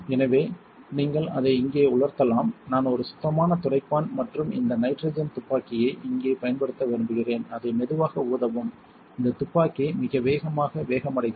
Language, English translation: Tamil, So, then you can dry it off here, I like to use a clean wipe and this nitrogen gsun here, just blow it slowly; this gun speeds up really fast